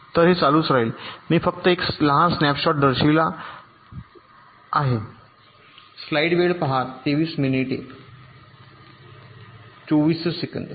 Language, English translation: Marathi, so here i am showing it only a small snap shot